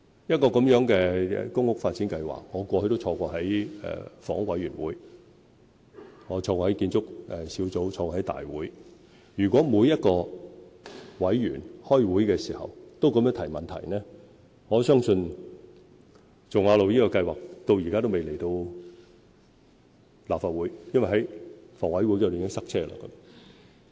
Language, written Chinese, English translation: Cantonese, 一項像大埔頌雅路的公屋發展計劃，我過去都有參與房委會、建築小組委員會及大會，如果每位委員開會時都這樣提問，我相信那項計劃至今都未能提交立法會，因為在房委會時已經"塞車"。, For public housing development projects like the one at Chung Nga Road according to my past experience in attending meetings of HKHA and its Building Committee if every member raised questions in such a way the project could still be unable to be submitted to the Legislative Council because it would be jammed at HKHA